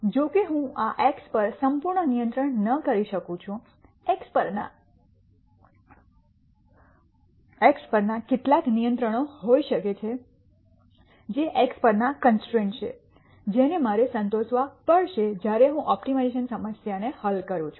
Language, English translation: Gujarati, However, I might not have complete control over this x there might be some restrictions on x which are the constraints on x which I have to satisfy while I solve this optimization problem